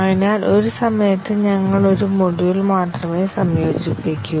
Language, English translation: Malayalam, So at a time we integrate only one module